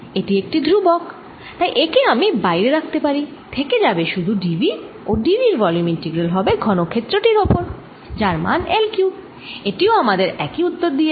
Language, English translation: Bengali, its going to be only d v, which is where the d v is the volume integral over the cube, which is l cubed, it gives me the same answer